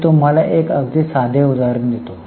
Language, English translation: Marathi, I'll just give you a very simple example